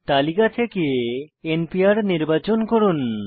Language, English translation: Bengali, Select n Pr for from the list